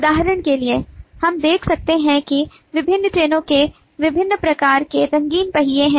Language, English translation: Hindi, for example, we can observe that different trains have different kind of coloured wheels